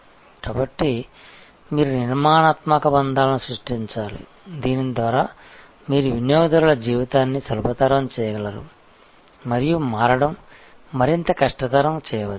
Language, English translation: Telugu, So, you have to create these structural bonds by which you are able to make the customers life easier and switching more difficult